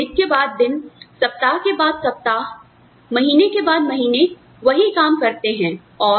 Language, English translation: Hindi, Where, you do the same job, day after day, week after week, month after month